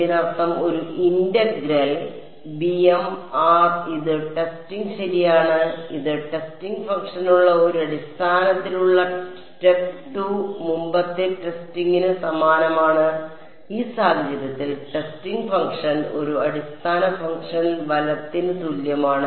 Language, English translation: Malayalam, It means that an integral over so, b m r this is testing right, this is same as step 2 earlier testing with a basis with the testing function, in this case the testing function is the same as a basis function right